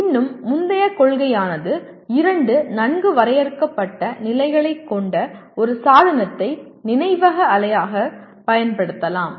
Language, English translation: Tamil, And still earlier principle a device that has two well defined states can be used as a memory unit